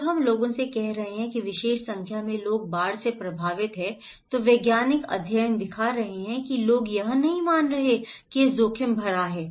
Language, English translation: Hindi, When we are saying to the people that that number of people are affected by particular flood, the scientific studies are showing that people are not perceiving, believing that this is risky